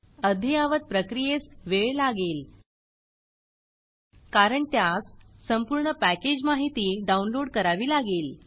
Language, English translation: Marathi, So now the update process will take time because it has to download the entire package information